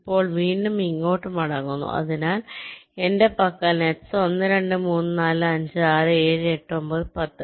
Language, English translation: Malayalam, now again going back here, so i have the nets one, two, three, four, five, six, seven, eight, nine, ten